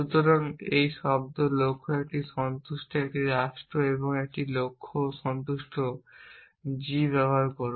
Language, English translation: Bengali, So, use a word goal a satisfies a state satisfies a goal g